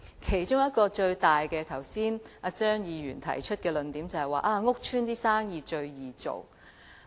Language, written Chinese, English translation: Cantonese, 他剛才提出的其中一個主要論點就是"屋邨生意最易做"。, One of the main arguments he advanced just now is that it is easy for businesses in public housing estates to make profits